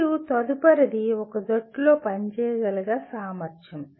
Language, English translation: Telugu, And next one is ability to work in a team